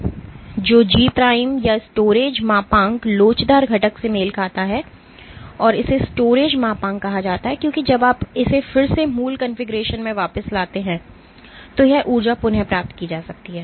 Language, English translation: Hindi, So, G prime or the storage modulus corresponds to the elastic component this corresponds to the elastic component and it is called the storage modulus because this energy can be retrieved when you release it you again go back to the original configuration